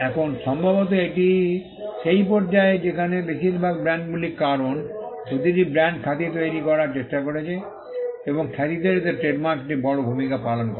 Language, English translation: Bengali, Now, this probably is the stage at which most brands are because, every brand is trying to create a reputation and trademarks do play a big role in creating reputation